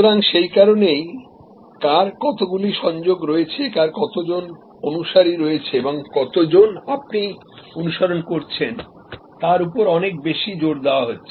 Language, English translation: Bengali, So, that is why there is so much of emphasize on who has how many connections, who has how many followers and how many people are you following